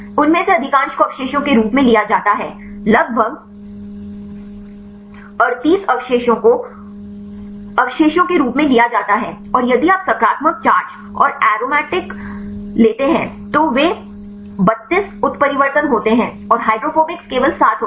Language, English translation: Hindi, Most of them are charged residues, about 38 residues are charged residues and if you take the positive charge and aromatic they are 32 mutations and the hydrophobics are only 7